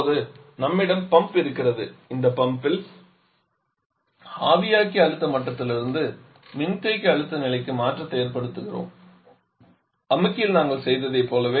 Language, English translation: Tamil, Now we are having the pump in this pump causing the change from this evaporator pressure level to the condenser pressure level just what we did in the compressor